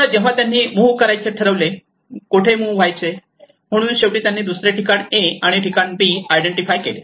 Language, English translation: Marathi, Now when they start deciding to move, where to move, so finally they have identified another place A and place B